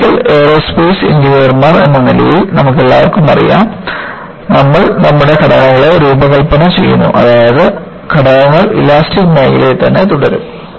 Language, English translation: Malayalam, And, as Mechanical and Aerospace Engineers, you all know, we design our structures, such that, the components remain within the elastic region